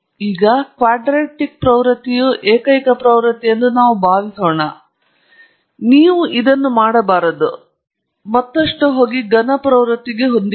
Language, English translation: Kannada, For now, we shall assume that the quadratic trend is the only trend, but you should not do that, go further and fit a cubic trend